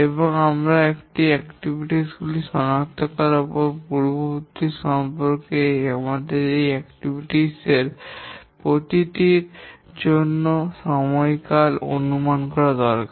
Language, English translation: Bengali, And once we identify the activities, their precedence relationship, we need to estimate the time duration for each of these activities